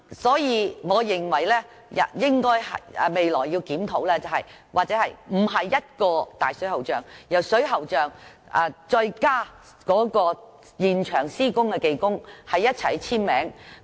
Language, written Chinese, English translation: Cantonese, 所以，我認為，當局未來應考慮不單是水喉匠簽署並負責，而是再加上在現場施工的技工一同簽署。, Therefore in my view in addition to requiring the plumbers to sign the documents and be in charge of the works the authorities should also consider requiring the technicians working on the site to sign the documents as well